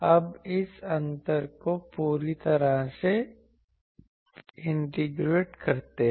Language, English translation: Hindi, Now, let us integrate this whole thing over the gap